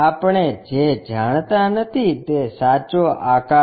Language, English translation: Gujarati, What we do not know is true shape